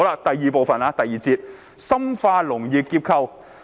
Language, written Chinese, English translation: Cantonese, "第二部分，即第二節，題為"深化農業結構調整"。, The second part or Section 2 is entitled Deepen agricultural restructuring